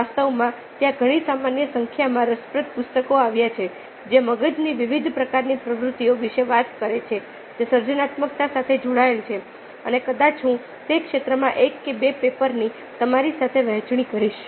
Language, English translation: Gujarati, in fact, there are quite a normal number of interesting books i have come across which talk about ah, ah, bea i mean brain activities of various kinds that get linked to creativity, and maybe i will share with you one or two papers in those areas